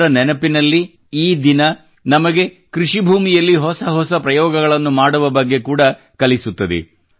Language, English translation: Kannada, In his memory, this day also teaches us about those who attempt new experiments in agriculture